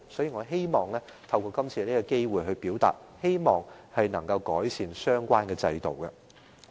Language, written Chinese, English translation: Cantonese, 因此，我希望透過今次機會提出相關問題，希望可以改善制度。, Hence I take this opportunity to raise the relevant concerns hoping that the system will be improved